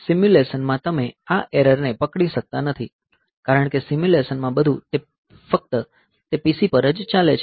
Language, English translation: Gujarati, So, in simulation you cannot catch this error, because in simulation everything is running on that PC only